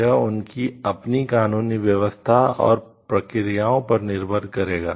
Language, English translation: Hindi, Will depends on their own legal systems and practices